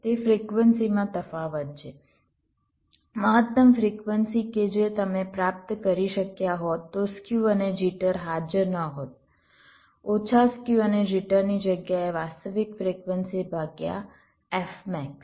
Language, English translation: Gujarati, it is the difference in the frequency, the maximum frequency that you could have achieved if skew and jitter, where not present, minus the actual frequency in place of skew and jitter, divided by f max